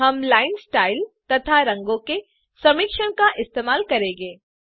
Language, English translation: Hindi, We use a combination of linestyle and color